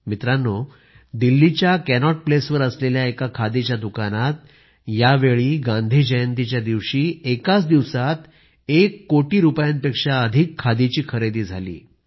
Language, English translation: Marathi, This time on Gandhi Jayanti the khadi store in Cannaught Place at Delhi witnessed purchases of over one crore rupees in just a day